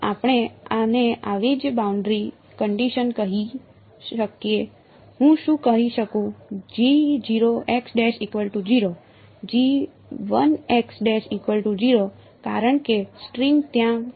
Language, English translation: Gujarati, So, we can say this such that same boundary conditions what can I say